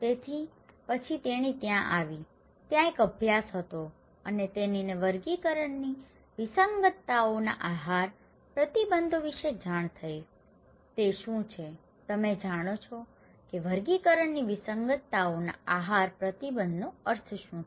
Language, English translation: Gujarati, So, then she came there was a study and she came to know about the Taxonomic anomalies dietary restrictions, what is that, do you know what is the meaning of taxonomic anomalies dietary restrictions